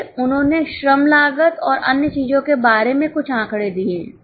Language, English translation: Hindi, Then they have given some data about labour costs and other things